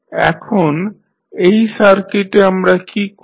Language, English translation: Bengali, Now, in this particular circuit what we will do